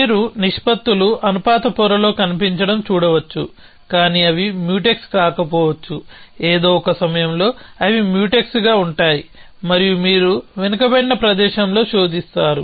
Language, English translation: Telugu, So, it might be that you might see the proportions appear in the proportion layer, but they may not be Mutex, at some point they will be Mutex and then you will search for in a backward space